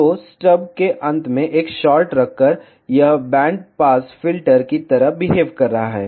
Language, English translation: Hindi, So, just by placing a short at the end of stub, it is behaving like a band pass filter